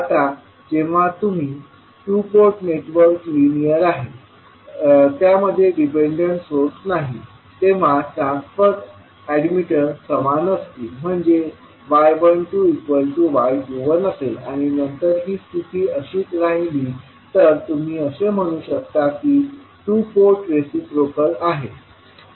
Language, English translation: Marathi, Now, when the two port network is linear and it has no dependent sources, the transfer admittance will be equal to y 12 is equal to y 21 and then if this condition holds, you can say that two port is reciprocal